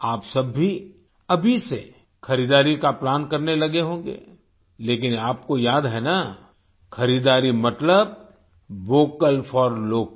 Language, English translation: Hindi, All of you must have started planning for shopping from now on, but do you remember, shopping means 'VOCAL FOR LOCAL'